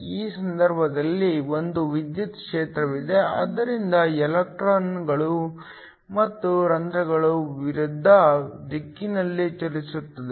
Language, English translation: Kannada, In this case, there is an electric field, so the electrons and holes move in the opposite direction